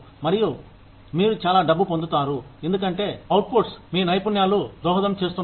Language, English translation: Telugu, And, you get that much money, because of the output, your skills are contributing to